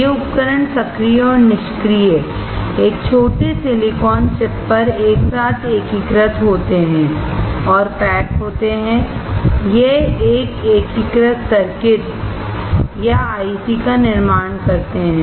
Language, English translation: Hindi, These devices, active and passive integrated together on a small silicone chip and packaged, this form an integrated circuit or IC